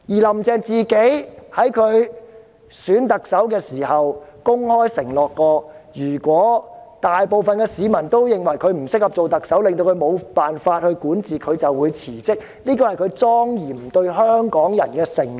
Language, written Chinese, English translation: Cantonese, "林鄭"在競選特首期間曾公開承諾，如果大部分市民都認為她不適合做特首，令她無法管治，她便會辭職，這是她對香港市民的莊嚴承諾。, During the Chief Executive Election campaign Carrie LAM openly pledged that if most people considered her unfit to serve as Chief Executive thus making her governance impossible she would resign . This is a solemn pledge she made to the people of Hong Kong